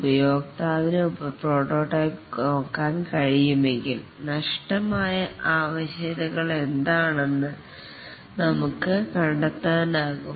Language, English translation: Malayalam, If the customer can look at the prototype, then you can find out what are the missing requirements